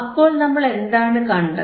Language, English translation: Malayalam, So, now, you what we see